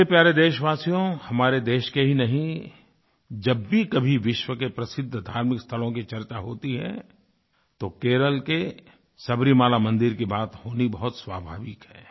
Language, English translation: Hindi, My dear countrymen, whenever there is a reference to famous religious places, not only of India but of the whole world, it is very natural to mention about the Sabrimala temple of Kerala